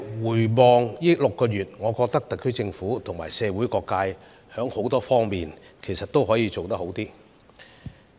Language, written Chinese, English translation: Cantonese, 回望過去6個月，我認為特區政府與社會各界，其實在很多方面也可做得更好。, Looking back on the past six months I think that the HKSAR Government and all walks of life could have done better in many ways